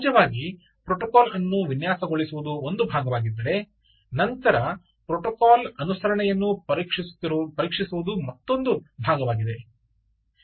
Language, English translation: Kannada, ah, designing the protocol is one part, but then testing the protocol, conformance of the protocol is another story